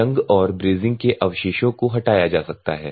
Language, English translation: Hindi, And removal of rust and brazing residues can be done